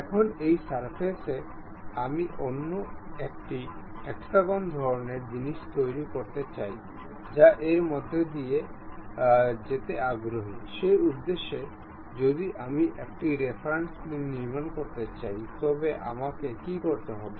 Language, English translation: Bengali, Now, on this surface I would like to construct another hexagon kind of thing inclinely passing through that; for that purpose if I would like to construct a reference plane, what I have to do